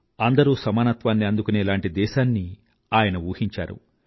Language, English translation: Telugu, He conceived a nation where everyone was equal